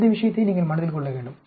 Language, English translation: Tamil, You need to keep that point in mind